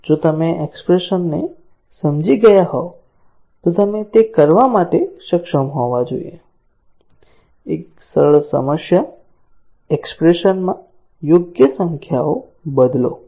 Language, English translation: Gujarati, If you have understood the expression then you should be able to do it; a simple problem, substitution the appropriate numbers into the expression